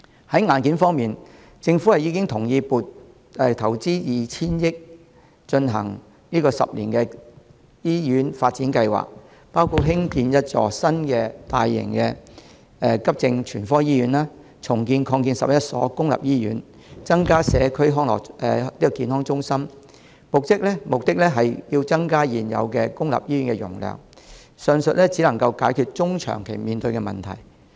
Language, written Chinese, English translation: Cantonese, 在硬件方面，政府已經同意投放 2,000 億元，推行十年醫院發展計劃，包括興建一所新的大型急症全科醫院，重建及擴建11所公立醫院，增加社區健康中心，目的是增加現有公立醫院的容量，上述只能解決中長期面對的問題。, In terms of hardware the Government has already agreed to allocate 200 billion for the implementation of the 10 - year Hospital Development Plan which includes the construction of a new large - scale acute general hospital the redevelopment and expansion of 11 public hospitals and the provision of additional community health centres with the objective of increasing the existing capacity of public hospitals . The above measures can only resolve the medium to long - term issues